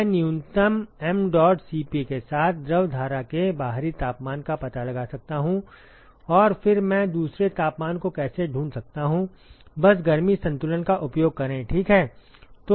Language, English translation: Hindi, I can find out the outer temperature of the fluid stream with minimum mdot Cp of and then how do I find the other temperature simply use heat balance, right